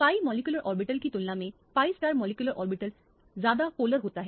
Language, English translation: Hindi, The pi star molecular orbital is a more polar state compared to a pi molecular orbital